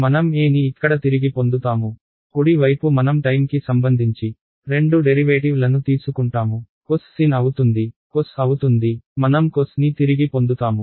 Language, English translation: Telugu, I will get E back over here, right hand side I will take two derivatives with respect to time; cos will become sin will become cos I will get back cos right